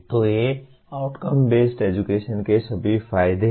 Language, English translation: Hindi, So these are all the advantages of outcome based education